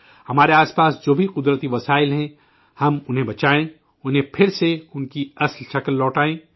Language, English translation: Urdu, Whatever natural resources are around us, we should save them, bring them back to their actual form